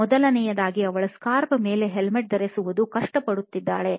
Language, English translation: Kannada, First of all, she finds it hard to wear a scarf and a strap a helmet on top of it